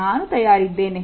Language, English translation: Kannada, I am ready